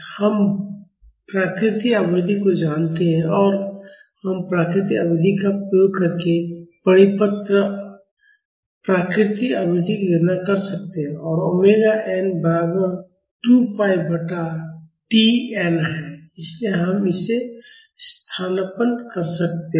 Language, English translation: Hindi, We know the natural period; and we can calculate the circular natural frequency using the natural period and omega n is equal to 2 pi by T n, so we can substitute that